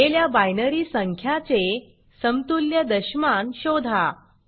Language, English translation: Marathi, Given a binary number, find out its decimal equivalent